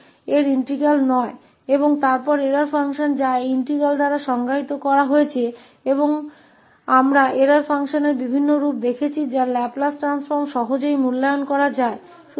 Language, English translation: Hindi, And then the error function which is defined by this integral and we have seen various forms of the error function whose Laplace transform can easily be evaluated